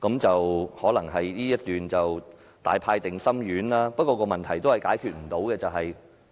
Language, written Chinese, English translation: Cantonese, 這一段也許是大派定心丸，不過問題仍然解決不了。, This paragraph may serve to relieve our concerns yet the problem still remains